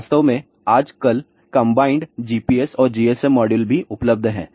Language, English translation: Hindi, In fact, nowadays even combined GPS and GSM modules are also available